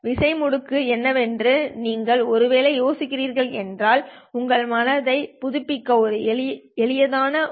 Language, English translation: Tamil, If you are wondering what on off keying is probably is just a bit too easy to refresh your mind